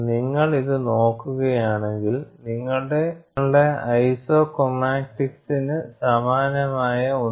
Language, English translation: Malayalam, We look at this, something similar to your isochromatics